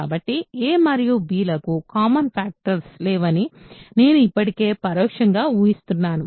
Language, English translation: Telugu, So, I am already implicitly assuming that a and b have no common factors ok